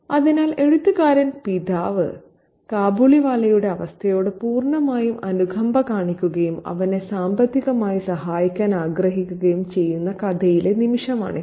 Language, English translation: Malayalam, So, this is the moment in the story when the writer's father completely sympathetic towards the state of the Khabliwala and he wants to help him monetarily financially